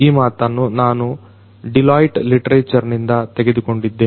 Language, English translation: Kannada, This is a quote that I have taken from a Deloitte literature